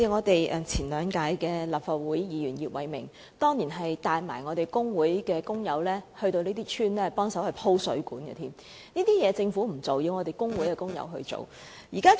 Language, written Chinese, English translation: Cantonese, 當年前立法會議員葉偉明甚至帶同工會工友前往這些鄉村幫忙鋪設水管，這些工作政府不做，卻要工會工友來做。, Back then Mr IP Wai - ming a former Legislative Council Member even had to bring fellow workers from the trade unions to those villages and helped lay water mains . The Government did not do such works but left them to workers from the trade unions